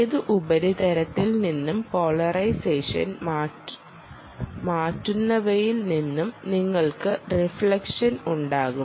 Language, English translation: Malayalam, you will have reflection from any surface and all that which will change the polarization